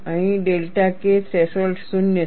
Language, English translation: Gujarati, Here, the delta K threshold is 0